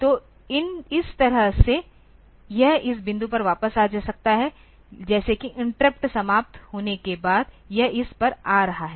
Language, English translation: Hindi, So, this way it can come back to this point like it is coming to this after the interrupt is over